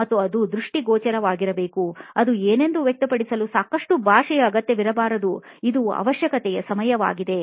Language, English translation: Kannada, And it should be visual, so that it does not require a lot of language to express what it is, is something that is the need of the hour